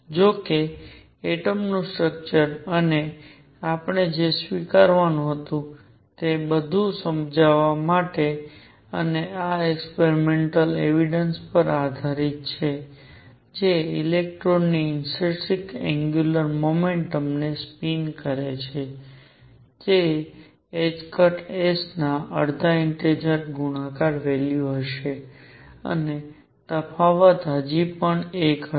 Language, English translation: Gujarati, However to explain atomic structure and all that we had to admit and this is based on experimental evidence, that spin the intrinsic angular momentum of an electron would have the value of half integer multiple of h cross, and the difference would still be 1